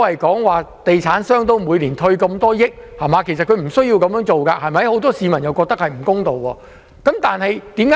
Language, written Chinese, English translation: Cantonese, 地產商每年退稅數億元，其實政府無須這樣做，很多市民都覺得這做法不公平。, Property developers obtain tax rebate amounting to hundreds of millions of dollars a year; in fact the Government needs not provide such concessions to them and many people think that such a measure is unfair